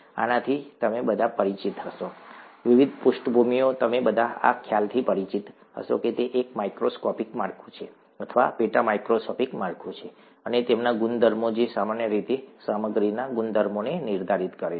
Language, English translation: Gujarati, This you would all be familiar with, different backgrounds, you would all be familiar with this concept that it is a microscopic structure, or a sub microscopic structure and components and their properties that determine the properties of materials as a whole